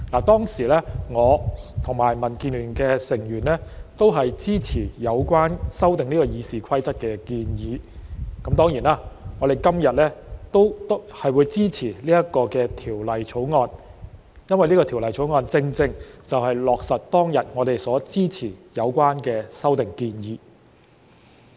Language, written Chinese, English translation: Cantonese, 當時，我和民建聯的成員也支持有關修訂《議事規則》的建議，當然，我們今天也會支持《條例草案》，因為它正正落實了我們當天支持的有關修訂建議。, At that time members of the Democratic Alliance for the Betterment and Progress of Hong Kong DAB and I supported the proposal to amend the Rules of Procedure . Certainly we will also support the Bill today because it has precisely implemented the relevant amendment proposal we supported back then